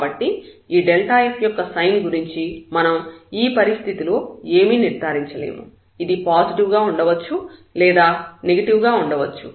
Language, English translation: Telugu, So, we cannot conclude anything in this situation about the sign of this delta f, it may be negative, it may be positive